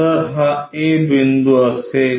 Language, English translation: Marathi, So, this will be the a point